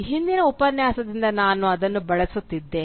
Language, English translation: Kannada, I am using it from the previous lecture